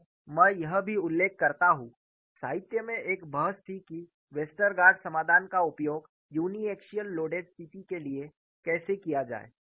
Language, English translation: Hindi, And I also mention, there was a debate in the literature how to use Westergaard solution for uniaxial loaded situation